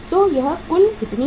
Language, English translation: Hindi, Total is how much